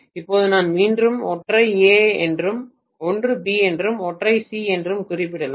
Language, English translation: Tamil, So now I can again mention one as A, one as B and one as C